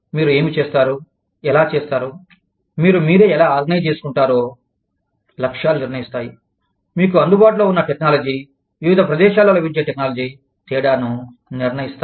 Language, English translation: Telugu, The goals determine, what you do, how you do it, how you organize yourselves, the technology available to you, the technology available in different locations, will make a difference